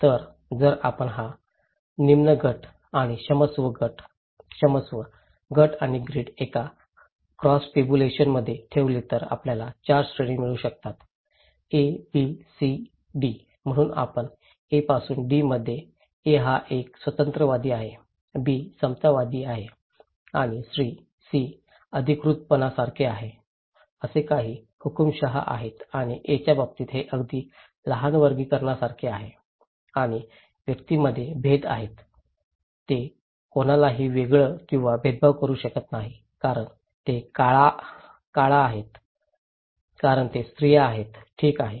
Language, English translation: Marathi, So, if we put this low group and sorry, group and grid into a cross tabulations, we can get 4 categories; one A, B, C, D, so if we move from A to D to C, we can say that from A to D is A is like individualistic, D is kind of egalitarian and C is like authoritative, some dictators are there and in case of A, it is like little classification and distinctions between individuals are there, they can nobody is segregated or discriminated because they are black because they are women, okay